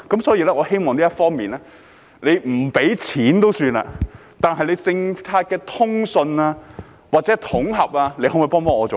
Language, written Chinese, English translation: Cantonese, 所以，我希望在這方面，政府不提供金錢資助也罷，但對於政策的通順或統合，能否幫一把呢？, Therefore in this connection it is fine for the Government not to provide financial assistance but can it offer some assistance in rationalizing or consolidating the policies?